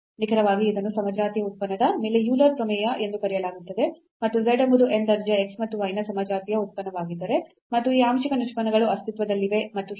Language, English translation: Kannada, So, precisely what it is called the Euler’s theorem on homogeneous function and it says if z is a homogeneous function of x and y of order n and these partial derivatives exist and so on